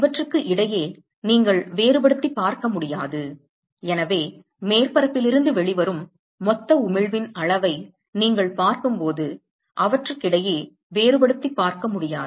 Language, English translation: Tamil, You cannot differentiate between the, so when you look at the total amount of emission that comes out of the surface you will not be able to differentiate between them